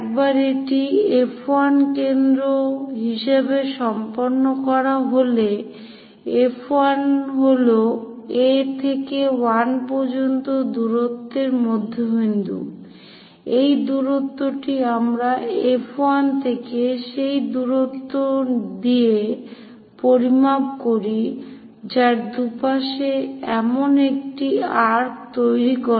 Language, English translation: Bengali, Once it is done with F 1 as centre; so, F 1 is centre the distance from A to 1, this distance let us measure it with that distance from F 1 make an arc something like that on both the sides